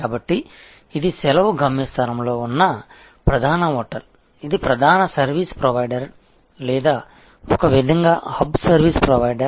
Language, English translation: Telugu, So, this will be that major hotel at the holiday destination, this will be the core service provider or in a way the hub service provider